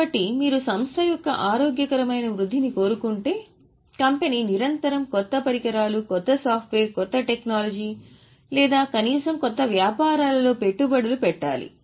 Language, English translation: Telugu, So if you want a healthy growth of the company, company has to continuously make investments in new equipment, new software, new technology or at least in new investments